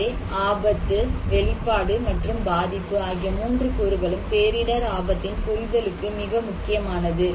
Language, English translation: Tamil, So, hazard, exposure and vulnerability these 3 components are important to understand disaster risk